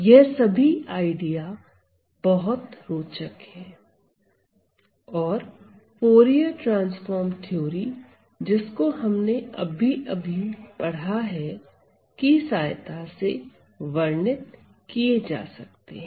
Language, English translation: Hindi, So, these interestingly all these ideas, all these notions could be very easily described by our Fourier transformed theory that we have just developed